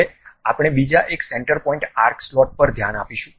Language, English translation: Gujarati, Now, we will look at other one center point arc slot